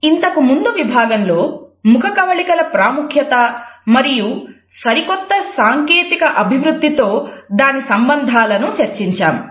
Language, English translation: Telugu, In the previous module, we had seen the significance of facial expressions and how they are being linked with the latest technological developments